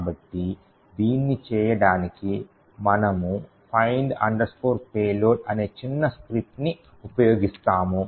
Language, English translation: Telugu, So, in order to do that we use this small script called find payload